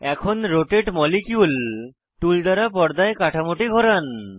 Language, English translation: Bengali, Now, rotate the structure on screen using the Rotate molecule tool